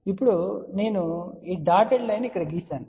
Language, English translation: Telugu, Now, I have drawn this dotted line over here